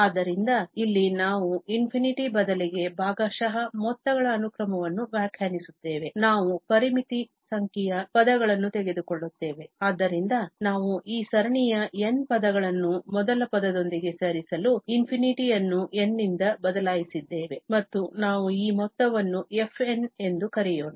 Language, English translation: Kannada, So, here, we define the sequence of the partial sums that means instead of infinity, we will take finite number of terms, so, we have just replaced that infinity by n to have these n terms of the series together with the first term and let us call this sum as fn